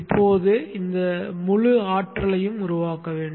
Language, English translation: Tamil, Now this whole energy has to be made up